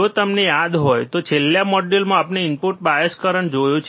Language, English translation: Gujarati, iIf you remember, we have in the last module we have seen input bias current